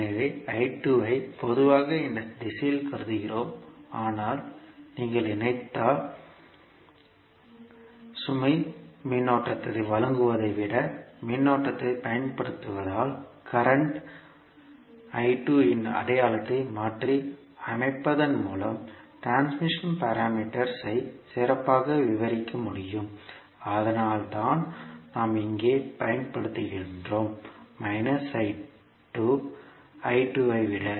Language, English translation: Tamil, So I 2 we generally consider in this direction, but since the load if you connect consumes current rather than providing current so that is why the transmission parameters can best be described by reversing the sign of current I 2 so that is why we use here minus I 2 rather than I 2